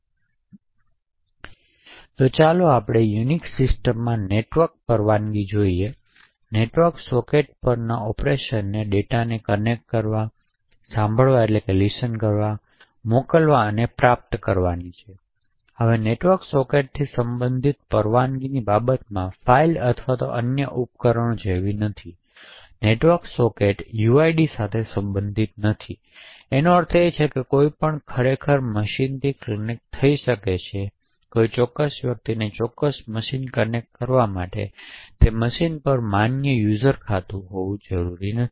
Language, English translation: Gujarati, So let us look at the network permissions in a Unix system, the operations permitted on a network socket is to connect, listen, send and receive data, now with respect to permissions related to network sockets is like a unlike files or any other devices, network sockets are not related to uids, so this means anyone can actually connect to a machine, a particular person does not have to have a valid user account on that machine in order to connect to do particular machine